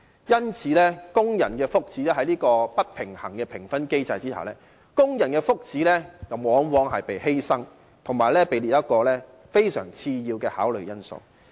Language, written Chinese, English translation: Cantonese, 因此，在這種不平衡的評分機制下，工人的福祉往往被犧牲，以及被列為非常次要的考慮因素。, Hence under such an imbalanced scoring mechanism the well - being of workers is often sacrificed and listed as a consideration of very low priority